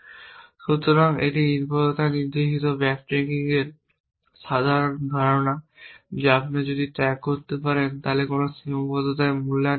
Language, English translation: Bengali, So, that is the general idea of dependency directed backtracking that if you can keep track of which constraint is being evaluated